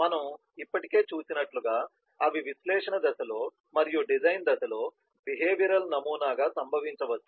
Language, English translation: Telugu, if they can occur in the analysis phase, as we have already seen, they can occur also in the design phase as a behavioural module